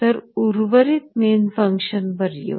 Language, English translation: Marathi, Then let us come to the rest of the main function